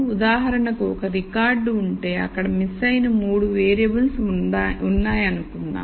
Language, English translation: Telugu, For example, if there is a record where there are let us say 3 variables that are missing